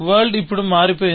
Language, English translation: Telugu, The world has changed now